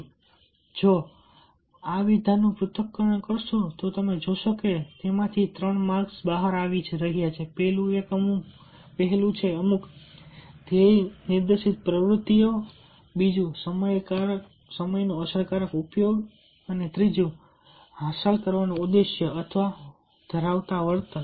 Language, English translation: Gujarati, so if you analyze this statement, you will be finding three markers are coming out of it: behavior that aim at achieving a effective use of time while performing certain goal directed activities